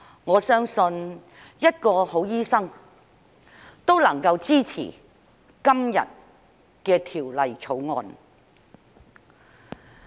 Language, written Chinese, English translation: Cantonese, 我相信一個好醫生，都能夠支持今天的《2021年醫生註冊條例草案》。, I believe a good doctor can support the Medical Registration Amendment Bill 2021 the Bill today